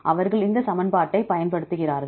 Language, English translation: Tamil, They use this equation